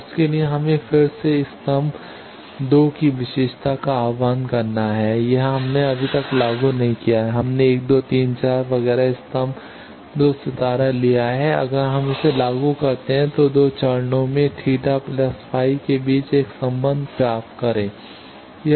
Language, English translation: Hindi, Now, for that again we invoke the property column 2, this we have not invoked till now we have taken 1 2 3 4 etcetera column 2 star column 2 conjugate dot column 3 is equal to 0, if we invoke that then we get a relationship between the 2 phases theta plus phi